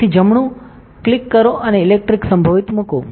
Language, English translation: Gujarati, So, right click and put electric potential